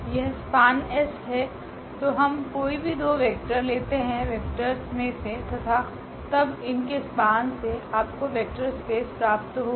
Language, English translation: Hindi, This span has S so, we take any two any vectors collection of vectors and then the span of this will give you the vector space